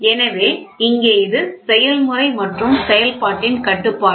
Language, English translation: Tamil, So, here this is control of process and operation